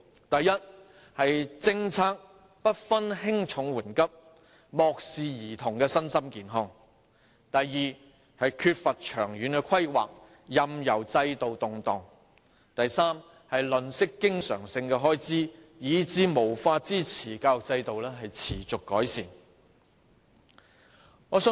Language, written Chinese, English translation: Cantonese, 第一，政策不分輕重緩急，漠視兒童身心健康；第二，缺乏長遠規劃，任由制度動盪；第三，吝嗇經常開支，以致無法支持教育制度持續改善。, First without according priority to what is important and urgent the policies have neglected the physical and mental health of children . Second there is a lack of long - term planning allowing the system to fluctuate . Third the Government is mean with recurrent expenditure thus failing to support the education system in making continuous improvement